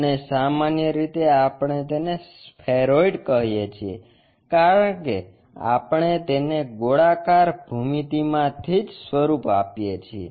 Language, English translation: Gujarati, And, usually we call these are spheroids from spherical geometry we construct them